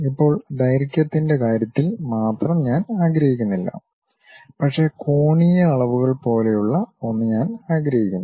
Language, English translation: Malayalam, Now, I do not want only in terms of length, but something like angular dimensions I would like to have it